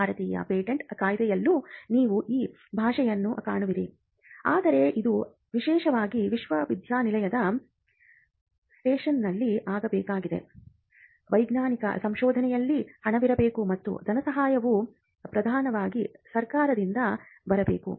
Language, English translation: Kannada, You will find this language in the Indian patents Act as well, but for this to happen especially in a university set up, there has to be funding in scientific research and the funding should predominantly come from the government